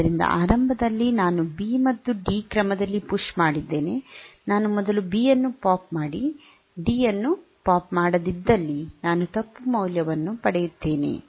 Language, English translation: Kannada, So, maybe at the beginning I have pushed in the order B and D, while popping if I POP out B first and not D, then I will get the wrong value